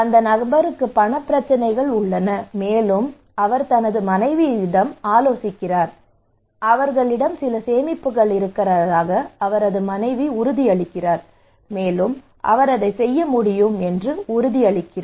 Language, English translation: Tamil, This person also have monetary problem, and he called his wife, his wife said that we have some savings extra savings so do not worry you can do it